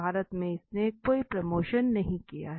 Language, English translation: Hindi, In India, they have not have any promotion